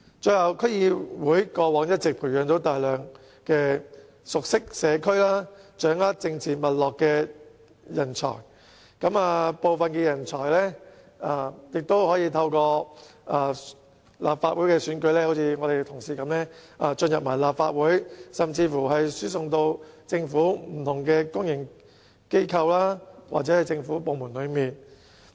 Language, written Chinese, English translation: Cantonese, 最後，區議會過往一直培養大量熟悉社區、掌握政治脈絡的人才，部分人才更可透過立法會選舉，正如我們的同事般進入立法會，甚至輸送至不同公營機構或政府部門。, Lastly DCs have groomed a large number of talents who are well versed in the local communities and have established good political connections . Some of them can even join the Legislative Council through the Legislative Council elections just as our Honourable colleagues did and even be transferred to various public organizations or government departments